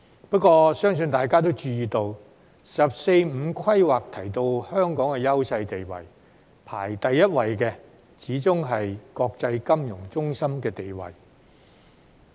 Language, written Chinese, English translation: Cantonese, 不過，相信大家也注意到，"十四五"規劃提到香港的優勢地位，排第一位的始終是國際金融中心的地位。, Yet I think Members have noticed that when the 14th Five - Year Plan mentioned the leading positions of Hong Kong it was our position as an international financial centre that always came first